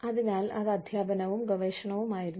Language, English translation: Malayalam, So, it was teaching and research, maybe